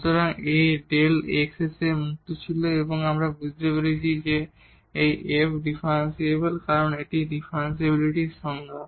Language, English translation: Bengali, So, A was free from delta x, and now we got that this f is differentiable because that was the definition of the differentiability